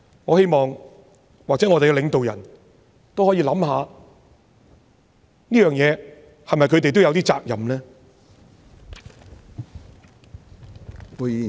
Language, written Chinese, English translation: Cantonese, 我希望我們的領導人也可以想想，在這事情上，是否他們也有點責任呢？, I hope that our leaders can think about whether they have to take some responsibilities in this respect